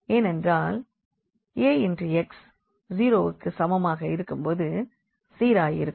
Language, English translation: Tamil, So, they will be definitely 0 when we have Ax is equal to 0